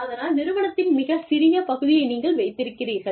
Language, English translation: Tamil, You own, a very tiny fraction of the organization